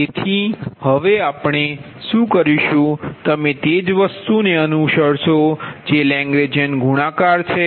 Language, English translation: Gujarati, then again you will follow the same thing, that lagrangian multiplier